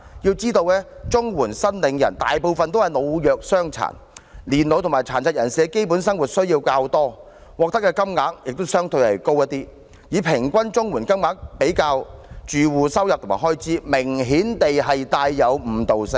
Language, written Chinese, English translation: Cantonese, 要知道綜援申領人大部分是老弱傷殘，年老及殘疾人士的基本生活需要較多，獲得的金額亦相對高，以平均綜援金額比較住戶收入及開支，明顯帶有誤導性。, We should know that most of the CSSA recipients are elderly persons the disadvantaged and persons with disabilities . Since elderly persons and persons with disabilities have more basic needs the payments receivable by them are relatively higher . Hence it is obviously misleading to use average CSSA payments in the comparison of household income and expenditure